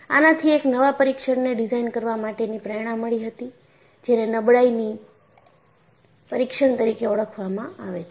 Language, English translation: Gujarati, So, this prompted the use of designing a new test, what is known as a fatigue test